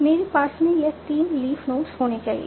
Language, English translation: Hindi, In my parse, they should be three leaf nodes